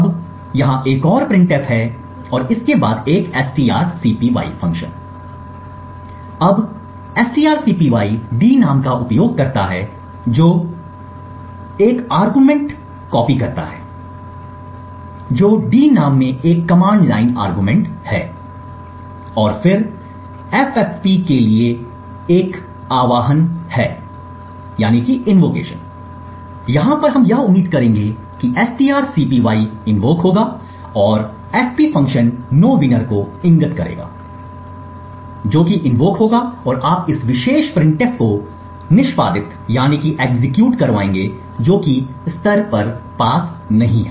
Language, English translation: Hindi, Now there is another printf and then a strcpy, now strcpy uses d name that is d name and copies argument 1 that is a command line argument into d name and then there is a invocation to ffp, so what you would expect over here is first the strcpy gets invoked and then the fp function which is pointing to nowinner that would get invoked and you would get this particular printf getting executed that is level has not been passed